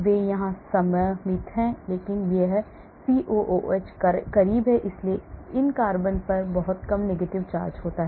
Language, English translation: Hindi, they are symmetric here, but this COOH is closer, so these carbons have very low negative charge